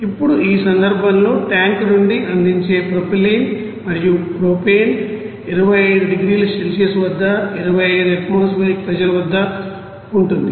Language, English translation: Telugu, Now in this case propylene and you know propane fed from the tank is at 25 degrees Celsius at 25 you know atmospheric pressure